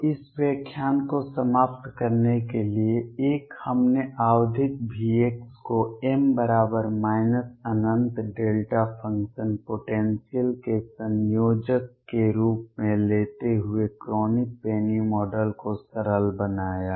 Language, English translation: Hindi, So, to conclude this lecture: one, we simplified the Kronig Penny model by taking the periodic V x to be a combination of m equals minus infinity delta function potentials